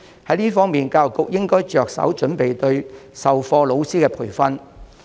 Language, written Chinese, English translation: Cantonese, 在這方面，教育局應着手準備對授課老師進行培訓。, In this connection the Education Bureau should proceed with the preparation work for providing training for teachers